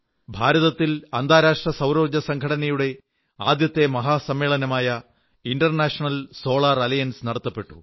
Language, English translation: Malayalam, The first General Assembly of the International Solar Alliance was held in India